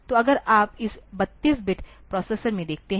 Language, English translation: Hindi, So, if you look into this 32 bit processors